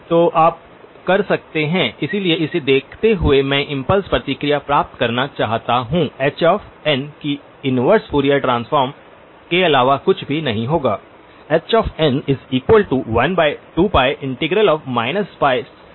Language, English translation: Hindi, So you can, so given this I would like to obtain the impulse response h of n that would be nothing but the inverse Fourier transform